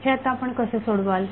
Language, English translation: Marathi, So how we will do it